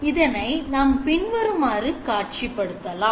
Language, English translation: Tamil, So you can visualize the situation as follows